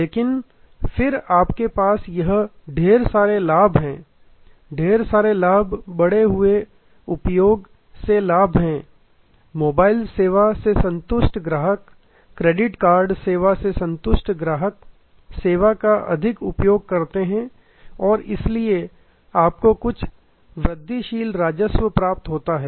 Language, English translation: Hindi, But, then you have this pile up benefits, pile up benefits are profit from increased usage, a satisfied customer with the mobile service, a satisfied customer with a credit card service tend to use the service more and therefore, you have some incremental revenue